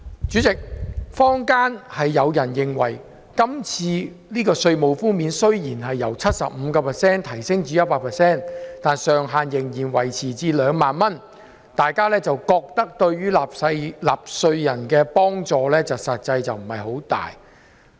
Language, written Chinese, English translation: Cantonese, 主席，坊間有人認為，雖然今次的稅務寬免由 75% 提升至 100%， 但上限仍然維持2萬元，對於納稅人的實際幫助不大。, Chairman some people are of the opinion that the proposed tax reduction increase from 75 % to 100 % is not of much actual help to taxpayers given that the ceiling will still be kept at 20,000